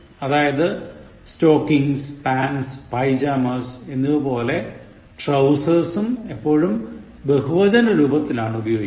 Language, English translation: Malayalam, So, trousers, like stockings, pants and pyjamas are always used in the plural form